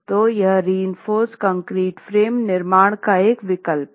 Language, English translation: Hindi, So, this is an alternative to reinforced concrete frame construction